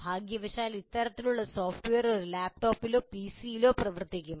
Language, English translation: Malayalam, Unfortunately, this kind of software will work on a laptop or a PC